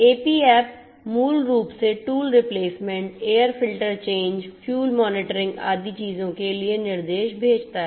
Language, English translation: Hindi, The AP app basically sends instructions for doing things like tool replacement, air filter change, fuel monitoring and so on